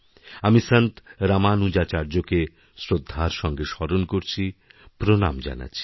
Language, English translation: Bengali, I respectfully salute Saint Ramanujacharya and pay tributes to him